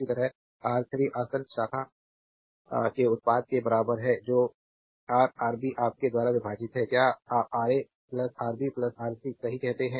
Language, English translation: Hindi, Similarly R 3 is equal to product of the adjacent branch that is Ra Rb divided by your; what you call Ra plus Rb plus Rc right